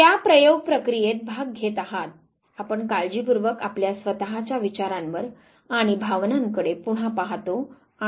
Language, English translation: Marathi, So, you are the participant, who is taking part in that experimentation process, you carefully relook at your own thoughts and feelings and you report it